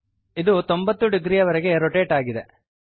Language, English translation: Kannada, So this has been rotated by 90 degrees